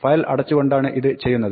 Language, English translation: Malayalam, So, this is done by closing the file